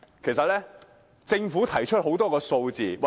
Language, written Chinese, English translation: Cantonese, 其實，政府已經提供很多數字。, The Government has actually provided us with lots of relevant figures